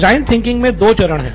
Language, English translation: Hindi, So there are two phases in design thinking